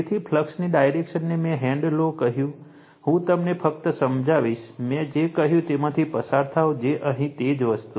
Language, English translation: Gujarati, So, the direction of flux I told you the right hand rule, I will just explain you, you go through it whatever I said, same thing it everything it is here